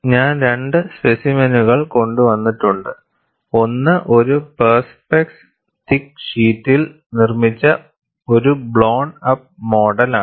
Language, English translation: Malayalam, I have brought 2 specimens, one is a blown up model which is made on a Perspex thick sheet